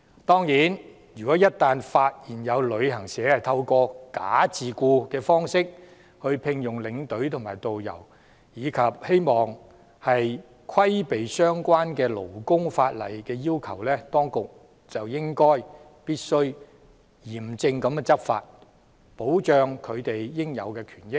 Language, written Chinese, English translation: Cantonese, 當然，若一旦發現有旅行社透過"假自僱"方式聘用領隊或導遊，以規避相關的勞工法例要求，當局就必須嚴正執法，以保障領隊或導遊的應有權益。, Of course in case any travel agent is found to have engaged tour escorts or tourist guides by way of false self - employment to circumvent labour law requirements the authorities must take vigilant enforcement action to safeguard the rights of tour escorts and tourist guides